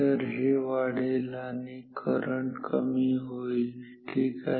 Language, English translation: Marathi, So, current I will decrease ok